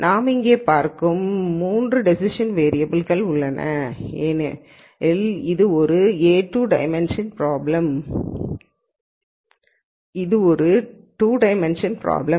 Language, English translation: Tamil, And as we see here there are 3 decision variables, because this was a 2 dimensional problem